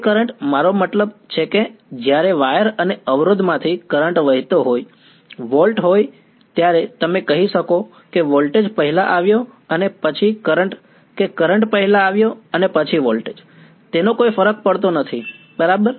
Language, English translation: Gujarati, That current I mean when there is volt when there is current flowing through a wire and a resistor there would do you say that the voltage came first and then the current or current came first and then the voltage does not matter right